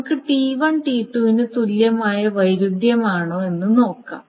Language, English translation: Malayalam, So now let us see whether it is conflict equivalent to T1 T2